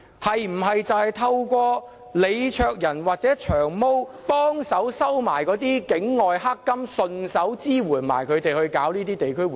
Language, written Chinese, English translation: Cantonese, 是否透過李卓人或"長毛"幫忙收取境外"黑金"，順便支援他們舉辦地區活動？, Do these come through the help of LEE Cheuk - yan and Long Hair in receiving dark money from overseas? . Have they used such resources to organize such activities?